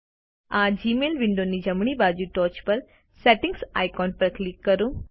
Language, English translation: Gujarati, Click on the Settings icon on the top right of the Gmail window